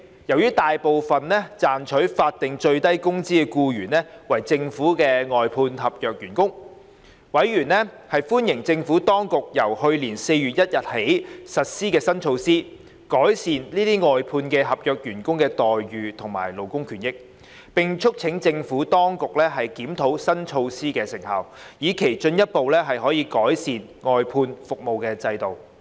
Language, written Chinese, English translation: Cantonese, 由於大部分賺取法定最低工資的僱員為政府外判合約員工，委員歡迎政府當局由去年4月1日起實施新措施，改善這些外判合約員工的待遇和勞工權益，並促請政府當局檢討新措施的成效，以期進一步改善外判服務制度。, Since most employees earning the statutory minimum wage were outsourced contract staff for government services members welcomed the new measures implemented by the Administration from 1 April last year for improving the employment terms and conditions as well as labour benefits of such outsourced contract staff and urged the Administration to review the effectiveness of the new measures with a view to further improving the outsourcing system